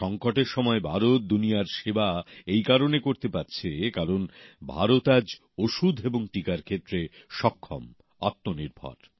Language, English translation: Bengali, During the moment of crisis, India is able to serve the world today, since she is capable, selfreliant in the field of medicines, vaccines